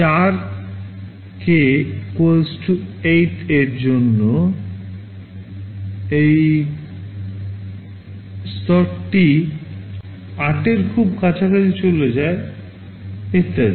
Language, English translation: Bengali, For k = 8, it levels to very close to 8; and so on